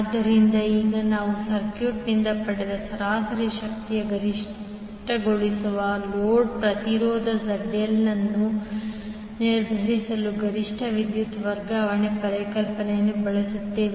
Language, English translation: Kannada, So, now we will use the maximum power transfer concept to determine the load impedance ZL that maximizes the average power drawn from the circuit